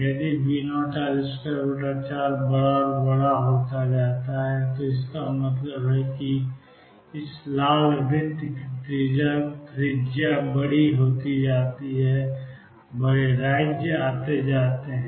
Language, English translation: Hindi, If V naught L square by 4 becomes larger and larger, that means the radius of this red circles becomes larger and larger more states come